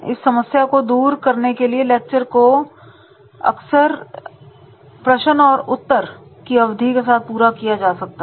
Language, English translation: Hindi, To overcome these problems, the lecture is often supplemented with the question and answer periods